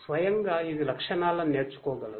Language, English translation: Telugu, On its own, it is able to learn the features